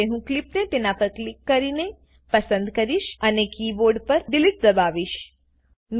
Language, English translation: Gujarati, Now I will select the clip by clicking on it and press the Delete on the keyboard